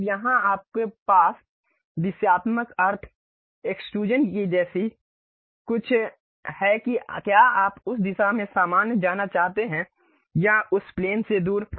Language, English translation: Hindi, Now, here you have something like Directional sense, Direction of Extrusion whether you would like to go normal to that direction or away from that plane